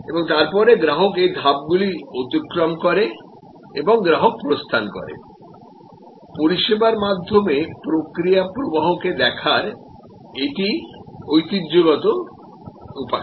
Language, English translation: Bengali, And then, the customer goes through these stages and customer exits, this is the traditional way of looking at process flow through the service